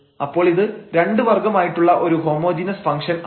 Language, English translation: Malayalam, So, this is a homogeneous function of order 0